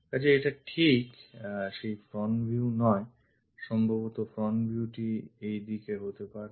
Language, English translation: Bengali, So, this is not right front view, possibly the front view might be in this direction